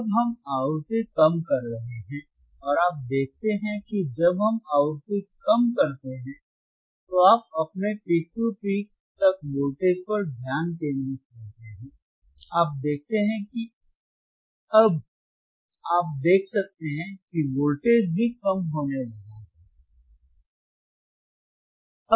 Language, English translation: Hindi, Now we are decreasing the frequency we are decreasing the frequency and you see that when we decrease the frequency, you concentrate on your peak to peak voltage alright decrease it further, decrease it further, decrease, it further and you see now suddenly you can see that the voltage is also started decreasing